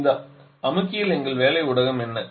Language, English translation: Tamil, Now in the compressor what is the working medium